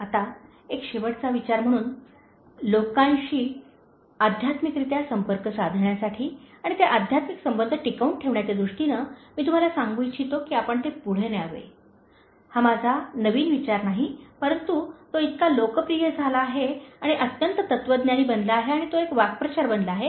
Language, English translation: Marathi, Now as a concluding thought, in terms of connecting to people spiritually and maintaining that spiritual connection, I would like to tell you, that you should pay it forward, it’s not a new thought of mine, but it becomes so popular and become highly philosophic and even has become a kind of idiom